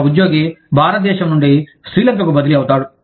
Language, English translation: Telugu, An employee gets transferred from, say, India to Srilanka